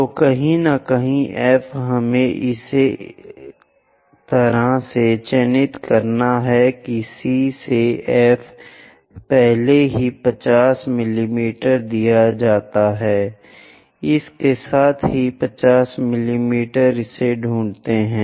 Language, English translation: Hindi, So, somewhere F we have to mark it in such a way that C to F is already given 50 mm, with that 50 mm locate it